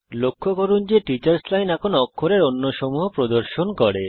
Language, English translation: Bengali, Notice, that the Teachers Line now displays a different set of characters